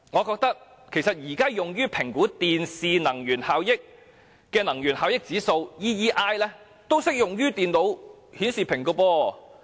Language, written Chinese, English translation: Cantonese, 現時用於評核電視機的能源效益指數，其實同樣適用於電腦顯示屏。, The Energy Efficiency Index EEI currently used to assess TVs is actually also applicable to computer monitors